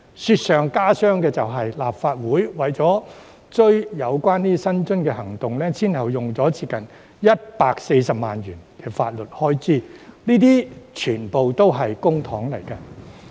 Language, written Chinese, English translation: Cantonese, 雪上加霜的是，立法會為了追回有關薪津的行動，前後便花了接近140萬元法律開支，這些全部也是公帑。, Worse still the Legislative Council has spent legal expenses of nearly 1.4 million in total in an attempt to recover the remuneration . All of these expenses have been paid from the public coffer